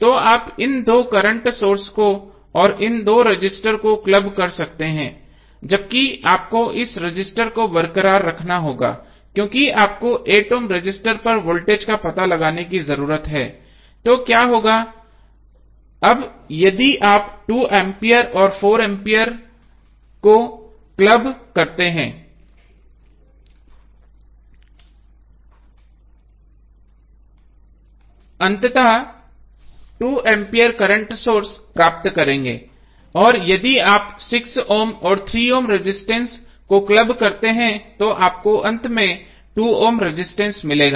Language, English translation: Hindi, So you can club these two current sources and these two resistances while you have to leave this resistance intact because you need to find out the voltage across 8 ohm resistance so, what will happen, now if you club 2 ampere and 4 ampere current sources you will finally get 2 ampere current source and if you club 6 ohm and 3 ohm resistance you will get finally 2 ohm resistance